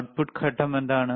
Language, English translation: Malayalam, What is the output phase